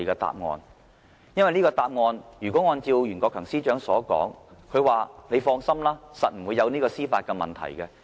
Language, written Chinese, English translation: Cantonese, 因為，如果這個答案，最終是像袁國強司長所說般，指我們可以放心，一定不會有司法的問題。, Now all will be fine if Secretary for Justice Rimsky YUEN is indeed right in saying that we can all rest assured and there will be no legal problems